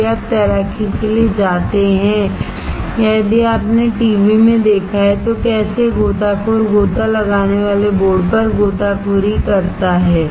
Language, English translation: Hindi, If you go for swimming or if you have seen in TV, how swimmer dives on the dive board that dive board